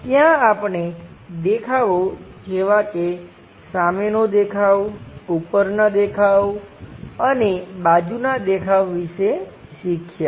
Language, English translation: Gujarati, There we have learned about the views like front view, top view, and side views